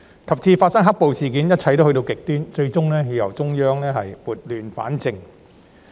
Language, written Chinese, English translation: Cantonese, 及至發生"黑暴"事件，一切都去到極端，最終要由中央撥亂反正。, It was not until the occurrence of black - clad riots where everything was taken to extremes that the Central Government eventually stepped in to bring order out of chaos